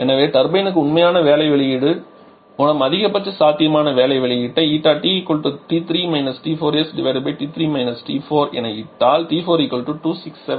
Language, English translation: Tamil, So, each RT for the turbine is the maximum possible work output which is a T 3 – T 4 is by actual work output is T 3 T 4 putting this we are getting T 4 to be equal to 267